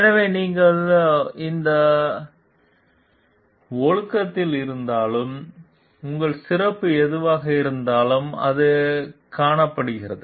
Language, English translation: Tamil, So, irrespective of whatever discipline you are in, irrespective of whatever is your specialization, it is found